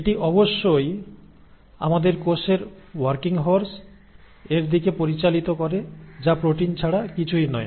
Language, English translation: Bengali, It obviously leads to formation of the working horses of our cell which nothing but the proteins